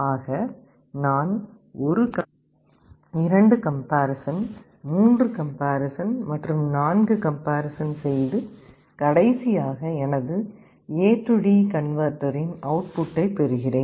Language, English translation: Tamil, So, in this way I make 1 comparison, 2 comparison, 3 comparison and 4 comparison and I get finally my result whatever will be my output of the A/D converter